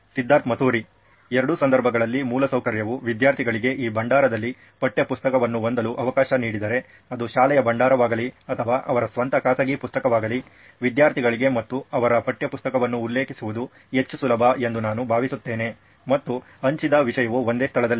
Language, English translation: Kannada, I think if the infrastructure in both the cases allows students to have the textbook also in this repository, be it a school repository or their own private one, then I think it is more easy for the students as well to refer their textbook and the shared content at the same place